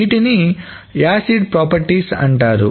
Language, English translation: Telugu, So what are the acid properties